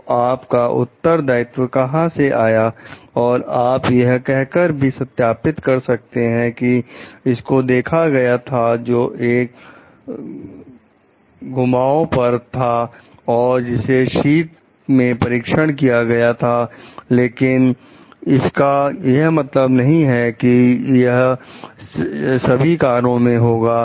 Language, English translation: Hindi, So, where comes your responsibility also you can justify telling like this has been observed in like know one of the curves which was winter tested this does not mean like this will happen to all the cars